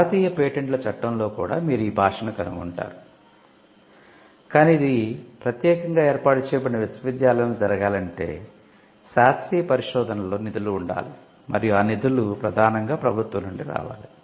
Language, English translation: Telugu, You will find this language in the Indian patents Act as well, but for this to happen especially in a university set up, there has to be funding in scientific research and the funding should predominantly come from the government